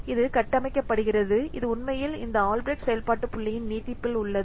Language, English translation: Tamil, It is built on, it is actually an extension of this Albreast function points